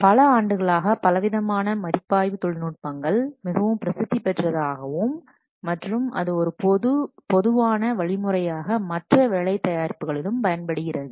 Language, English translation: Tamil, Over the years, various review techniques have become extremely popular and they have been generalized to be used with other work products also